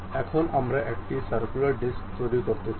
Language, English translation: Bengali, Now, we would like to make a circular disc